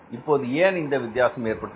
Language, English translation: Tamil, Now why this difference has occurred